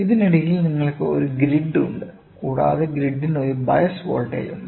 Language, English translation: Malayalam, So, in between you have a grid and grid is having a bias voltage